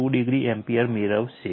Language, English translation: Gujarati, 2 degree ampere